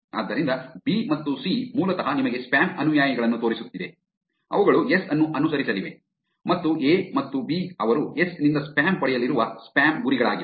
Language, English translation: Kannada, So, B and C is basically showing you the spam followers which are which are the ones that are going to be following S, and A and B are the spam targets they are going to be getting the spam from S